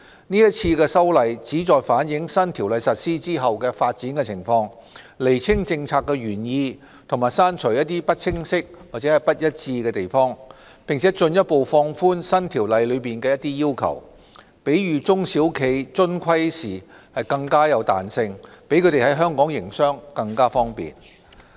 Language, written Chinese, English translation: Cantonese, 是次修例旨在反映新《公司條例》實施後的發展情況，釐清政策原意及刪除不清晰和不一致之處；並且進一步放寬新《公司條例》中的一些要求，給予中小企遵規時更大彈性，讓他們在香港營商更為方便。, The current amendment exercise aims to incorporate new developments after the commencement of the new Companies Ordinance clarify policy intent and remove ambiguities and inconsistencies . It also aims to further relax certain requirements under the new Companies Ordinance to provide more flexibility to SMEs when it comes to compliance so as to further facilitate their business in Hong Kong